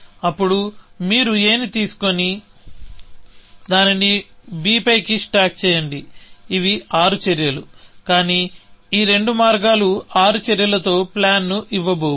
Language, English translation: Telugu, Then, you pick up a, stack it on to b; that is six actions, but neither of these paths is going to give a plan with six actions